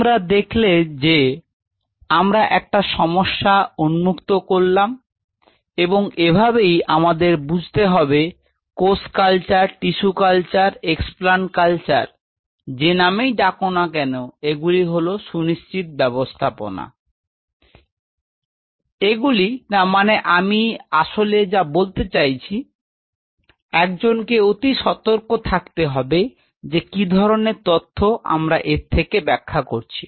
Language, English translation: Bengali, So, you see we open up a problem and this is how we have to understand that cell culture, tissue culture, explants culture whatever you call it, these are acute systems these are not I mean one has to be very cautious and careful that what kind of data are we interpreting out of it